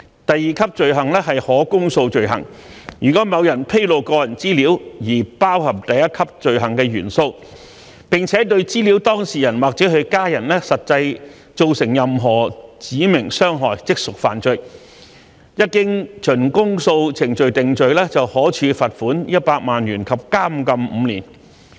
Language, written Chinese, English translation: Cantonese, 第二級罪行是可公訴罪行，如果某人披露個人資料，而此項披露包含第一級罪行的元素，並且對資料當事人或其家人實際造成任何指明傷害，即屬犯罪，一經循公訴程序定罪，可處罰款100萬元及監禁5年。, The second tier offence is an indictable offence . A person commits the offence if in addition to the elements of the first tier offence any specified harm is actually caused to the data subject or hisher family members as a result of the disclosure . Any person who is convicted on indictment may be liable to a fine of 1 million and imprisonment for five years